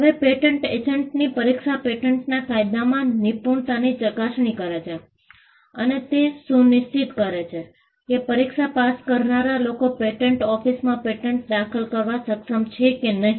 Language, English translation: Gujarati, Now, the patent agent examination, tests proficiency in patent law, and it also ensures that the people who clear the exam can draft and file patents before the patent office